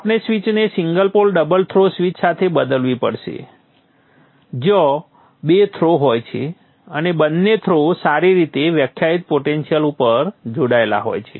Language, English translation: Gujarati, We have to replace this switch with a single pole double throw switch where there are two throws and both the throws are connected to well defined potential